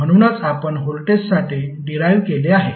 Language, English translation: Marathi, So that is what we have derived for voltage